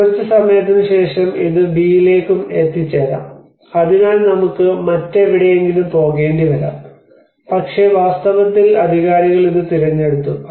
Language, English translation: Malayalam, So sometime later it may reach to B as well so we may have to go somewhere else, but in reality the authorities have chosen this